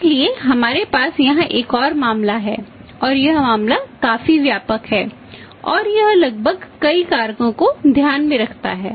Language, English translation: Hindi, So, we have a another case here and that case is quite comprehensive and it takes into consideration almost many factors